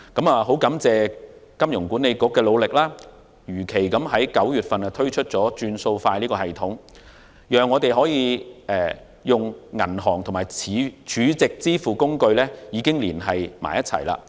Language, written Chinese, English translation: Cantonese, 我很感謝香港金融管理局的努力，如期在9月推出"轉數快"系統，讓銀行和儲值支付工具連繫起來。, I am very grateful to the Hong Kong Monetary Authority HKMA for its efforts at launching the Faster Payment System in September as scheduled to link banks and stored - value payment facilities